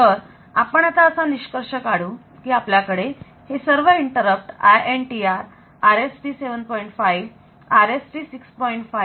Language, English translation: Marathi, So, to summarize so we have got all these interrupt so INTR, RST 5